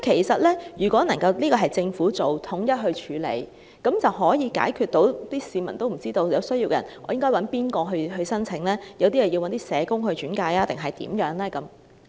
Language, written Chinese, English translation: Cantonese, 所以，如果交由政府統一處理，便能夠解決市民和有需要人士不知道該向甚麼機構提出申請或是否要找社工轉介等問題。, Therefore if this can be centrally processed by the Government the problems of the public and the needy not knowing which organizations to apply for or whether they should seek referral by social workers will be solved